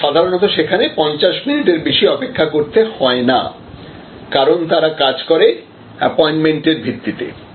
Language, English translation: Bengali, And usually you do not have to wait more than 50 minutes there, because there only operate on the business of appointment